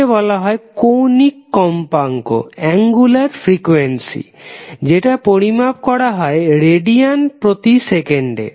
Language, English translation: Bengali, Omega is called as angular frequency which is measured in radiance per second